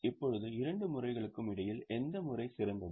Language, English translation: Tamil, Now, between the two methods, which method is better in your opinion